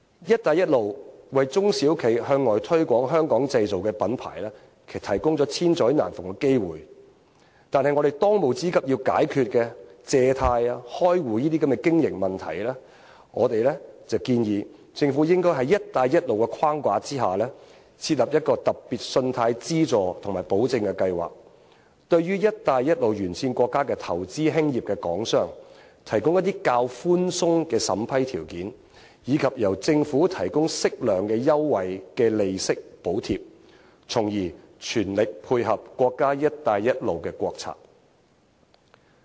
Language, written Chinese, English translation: Cantonese, "一帶一路"為中小型企業向外推廣香港製造的品牌提供了千載難逢的機遇，但我們當務之急需要解決借貸、開戶等經營問題，我建議政府應該在"一帶一路"的框架下，設立一個特別信貸資助及保證計劃，對於"一帶一路"沿線國家投資興業的港商，提供較為寬鬆的審批條件，以及由政府提供適量的優惠利息補貼，從而全力配合國家"一帶一路"的國策。, One Belt One Road offers SMEs with unprecedented opportunities to promote the brand name of Hong Kongs manufacturing sector abroad but we have to first deal with the pressing problems in business operation such as difficulties in securing bank loans and opening bank accounts . I suggest the Government to set up a special funding and loan guarantee scheme under the One Belt One Road framework offering favourable approval criteria for Hong Kong enterprises investing and starting business in countries along One Belt One Road and to provide proper interest subsidies thereby dovetailing with the States One Belt One Road strategy at full stretch